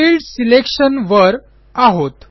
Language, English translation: Marathi, We are in Step 1 Field Selection